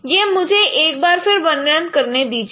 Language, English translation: Hindi, So just let me elaborate once again